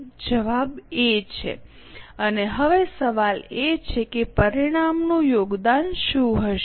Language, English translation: Gujarati, The answer is A and now the question is what will be the resultant contribution